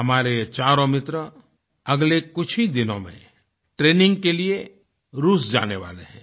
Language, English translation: Hindi, Our four friends are about to go to Russia in a few days for their training